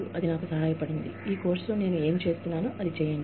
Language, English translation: Telugu, And, that has helped me, do whatever I am doing, in this course